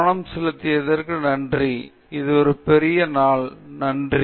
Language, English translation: Tamil, Thank you for paying attention and have a great day